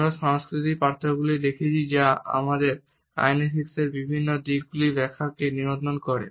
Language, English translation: Bengali, We have been looking at the cultural differences which govern our interpretation of different aspects of kinesics